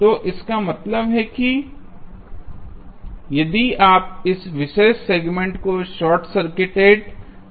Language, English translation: Hindi, So, that means, if you see this particular segment AB short circuited